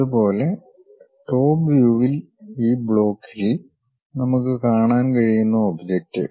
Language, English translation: Malayalam, Similarly, in top view the object what we can see as a block, is this block